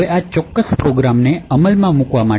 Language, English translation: Gujarati, Now, in order to execute this particular program